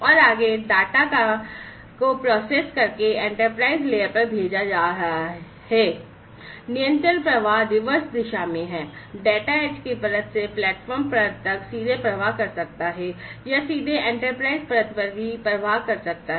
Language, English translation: Hindi, The control flow is in the reverse direction, data could flow from, the edge layer to the platform layer directly, or could directly also flow to the enterprise layer